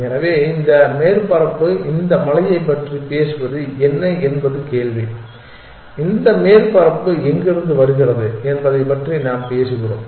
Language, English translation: Tamil, So, the question is what is this surface appear talking about this hill that we are talking about where does this surface come from